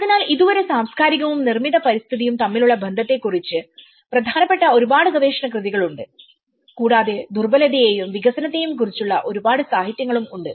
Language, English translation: Malayalam, So till now, there are main lot of research works on cultural and the relation between built environment and there is also a lot of literature vulnerability and the development